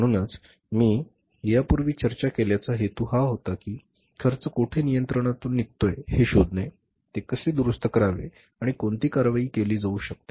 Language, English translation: Marathi, So the purpose as I discussed earlier was that to find out where the cost is going out of control how to correct it and what action can be taken